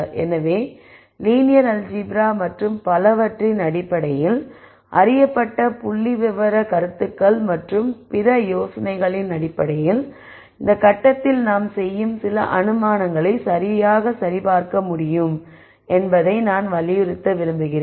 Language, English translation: Tamil, So, I want to emphasize that some of the assumptions that that we make can be verified right at this stage based on known statistical ideas and other ideas in terms of linear algebra and so on